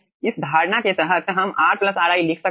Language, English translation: Hindi, under this assumption we can write down r plus ri